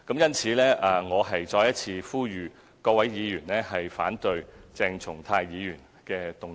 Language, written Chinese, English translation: Cantonese, 因此，我再一次呼籲各位議員反對鄭松泰議員的議案。, Therefore I once again appeal to Honourable Members to oppose Dr CHENG Chung - tais motion